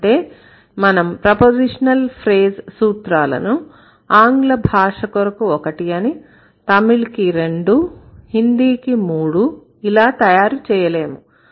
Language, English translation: Telugu, You cannot propose a prepositional phrase rule one for English, two for Tamil or three for Hindi